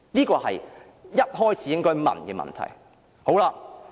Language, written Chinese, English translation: Cantonese, 這是一開始便應提出的問題。, This is a question we should ask in the beginning